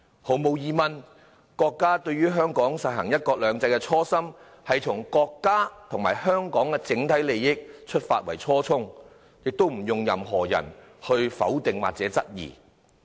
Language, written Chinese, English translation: Cantonese, 毫無疑問，國家對香港實行"一國兩制"的初心，從國家和香港的整體利益出發的初衷，不容任何人否定或質疑。, Certainly no one should negate or query the original intent of the Central Authorities in implementing one country two systems in Hong Kong as well as the original intent of having regard to the overall interests of the country and Hong Kong